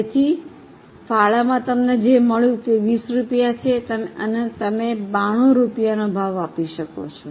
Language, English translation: Gujarati, So, contribution which you are supposed to earn is 20 rupees and the price which you can quote is only 92